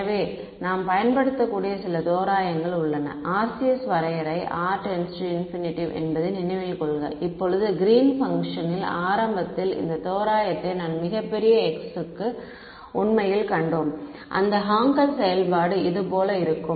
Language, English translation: Tamil, So, there are some approximations that we can use; remember the RCS definition is r tending to infinity right now back in the very beginning of Green’s function we had actually come across this approximation for very large x this Hankel function look like this